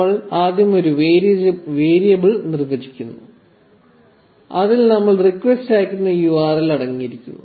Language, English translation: Malayalam, We first define a variable which will contain the URL that we would send the request to